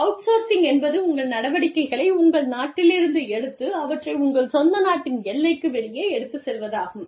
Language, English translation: Tamil, Outsourcing is, you take your operations, from your country, and you take them, outside the border of your home country